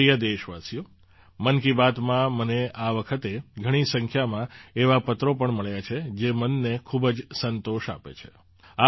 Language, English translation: Gujarati, My dear countrymen, I have also received a large number of such letters this time in 'Man Ki Baat' that give a lot of satisfaction to the mind